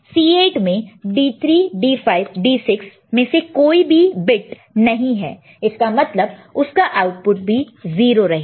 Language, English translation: Hindi, And in this case, none of the D 3, D 5, D 6 are there, so it will be generating 0